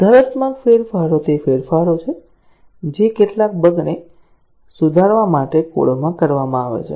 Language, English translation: Gujarati, Corrective changes are those changes, which are made to the code to fix some bugs